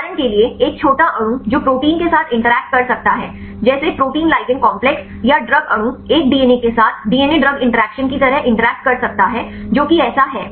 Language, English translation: Hindi, For example, a small molecule that may interact with a protein like protein ligand complex or a drug molecule can interact with a DNA like the DNA drug interactions that is so on